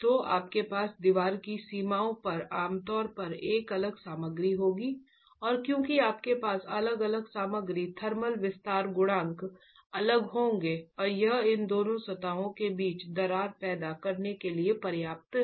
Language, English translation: Hindi, And because you have different material, thermal expansion coefficients will be different and that is sufficient to cause a cracking between these two surfaces